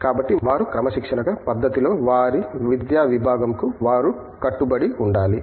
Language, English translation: Telugu, So, they should be committed to their discipline to their academic discipline in a disciplined fashion